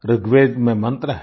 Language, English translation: Hindi, There is a mantra in Rigved